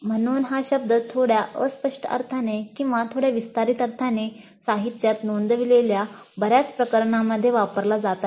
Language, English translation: Marathi, So, the term is being used somewhat in a slightly vague sense or in a slightly expanded sense in quite a good number of cases reported in the literature